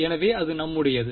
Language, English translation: Tamil, So, that is our